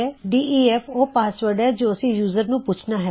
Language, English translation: Punjabi, def is the password we want to ask the user for